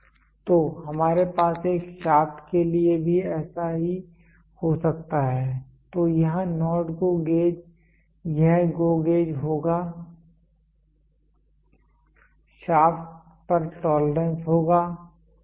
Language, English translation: Hindi, So, we can also have a same for shaft so here NOT GO gauge this will be your GO gauge this tolerance on shaft, ok